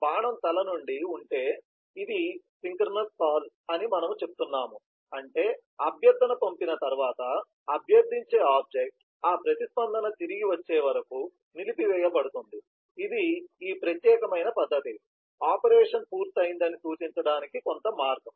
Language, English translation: Telugu, we say this is if the arrow head is filled up, we say this is synchronous call, which means that once the request has been sent, the requesting object, that is this particular method, which was executing will be put on hold till this requested operation is completed and that response comes back, someway to indicate that this has completed